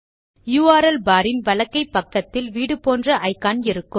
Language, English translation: Tamil, To the right of the URL bar, is an icon shaped like a house